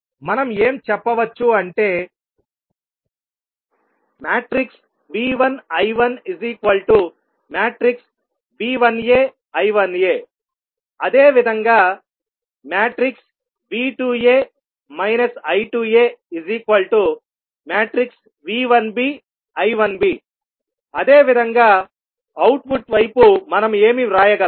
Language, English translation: Telugu, Since we know that I 1 is nothing but I 1 is equal to I 1a equal to I a1b similarly, I 2 is also equal to I 2a and I 2b and V 1 is V 1a plus V 1b